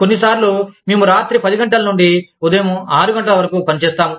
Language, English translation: Telugu, Sometimes, we work from say, 10 in the night, till 6 in the morning